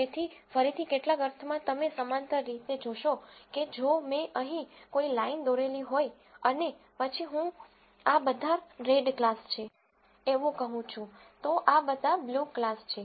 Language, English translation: Gujarati, So, again in some sense you see a parallel, saying if I were to draw a line here and then say this is all red class, this is all blue class